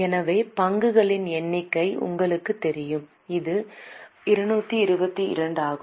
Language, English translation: Tamil, So, number of shares is known to you which is 2 to 2